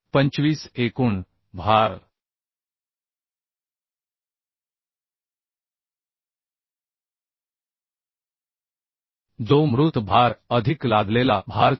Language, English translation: Marathi, 25 total load which is dead load plus imposed load as 4